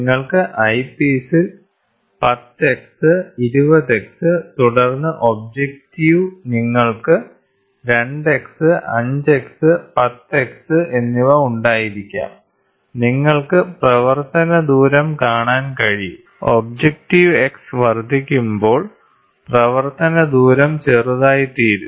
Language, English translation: Malayalam, So, you can have at the eyepiece 10 x, 20 x and then objective you can have 2 x, 5 x, and 10 x, you can see the working distance, as and when the objective X increases, the working distance go small